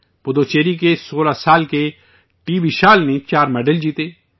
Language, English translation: Urdu, 16 year old TVishal from Puducherry won 4 medals